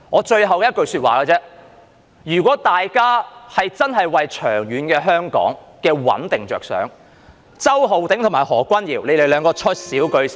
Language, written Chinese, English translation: Cantonese, 最後我只想說一句，如果大家真的為香港的長遠穩定着想，周浩鼎議員及何君堯議員兩人說少兩句便最好。, To conclude I only wish to say one thing . If it is truly for the sake of the long - term stability of Hong Kong it would be best for Mr Holden CHOW and Dr Junius HO to refrain from talking too much